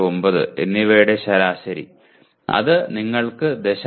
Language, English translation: Malayalam, 669 and that gives you 0